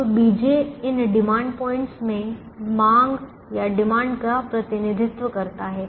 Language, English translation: Hindi, now b j is the represents the demand in these demand points